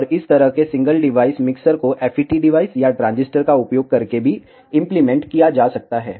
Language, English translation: Hindi, And such a single device mixers can also be implemented using FET devices or transistors